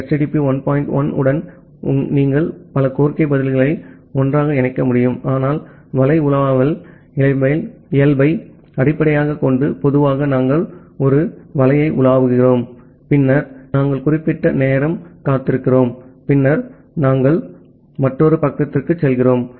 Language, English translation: Tamil, 1 what you had that you can combine multiple request response together, but based on the web browsing nature normally we browse a web then we wait for certain time, and then we move to another page